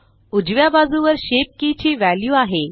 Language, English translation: Marathi, On the right side is the value of the shape key